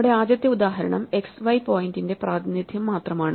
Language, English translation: Malayalam, Our first example is just a representation of a point x y